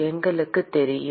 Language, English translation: Tamil, We know that